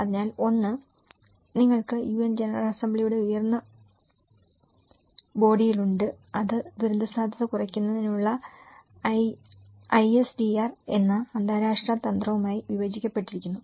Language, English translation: Malayalam, So, one is you have the higher body of the UN General Assembly and which is further divided into international strategy of disaster risk reduction ISDR